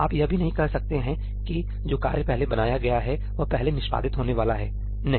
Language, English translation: Hindi, You cannot even say that the task that is created first is going to get executed first ñ no